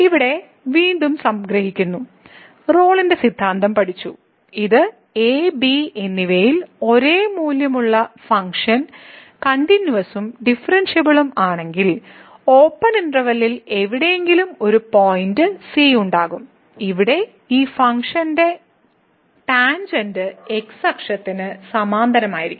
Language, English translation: Malayalam, So, again the conclusion here we have a studied the Rolle’s Theorem which says that if the function is continuous and differentiable having the same value at this and , then there will be a point somewhere in the open interval ,b), where the tangent to this function will be parallel to the axis